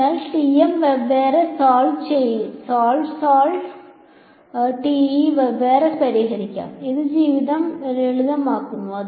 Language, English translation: Malayalam, So, may as well break solve TM separately solve TE separately right it just makes a life simpler